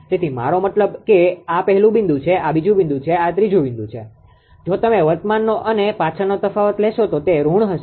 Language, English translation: Gujarati, So, I mean this is that first point, this is the second, this is third if you take the difference of the current minus the previous then it will be negative